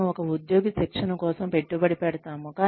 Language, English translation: Telugu, We invest in the training of an employee